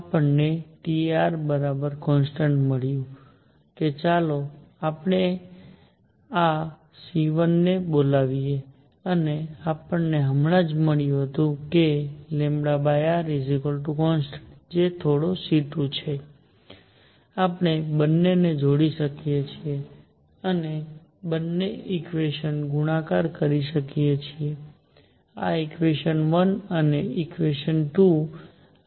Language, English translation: Gujarati, We have got T times r is a constant, let us call this c 1 and we have also got just now that lambda over r is a constant which is some c 2, we can combine the 2 and multiply both equations; this equation 1 and this equation 2